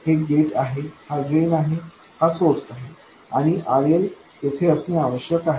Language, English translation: Marathi, This is the gate, this is the drain, this is the source, and RL must appear over there